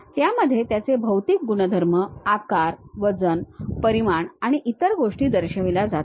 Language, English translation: Marathi, In that it shows what might be the material properties, size, weight, dimensions and other things we will have it